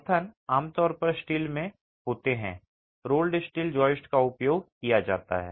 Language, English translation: Hindi, The supports are typically in steel, roll steel joists are used